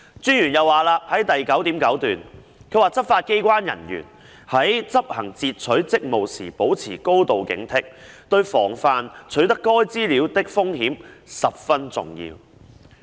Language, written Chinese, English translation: Cantonese, 專員在報告第 9.9 段又指出，"執法機關人員在執行截取職務時保持高度警惕，對防範取得該資料的風險十分重要。, The Commissioner also pointed out in paragraph 9.9 that a high level of alertness maintained by [law - enforcement agency] officers in performing their intercepting duties is important for guarding against the risk of obtaining information subject to [legal professional privilege]